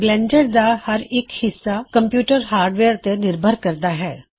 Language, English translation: Punjabi, Different parts of Blender are dependent on different pieces of computer hardware